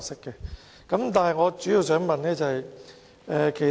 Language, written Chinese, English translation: Cantonese, 然而，我主要想問一個問題。, Nevertheless I mainly want to ask a question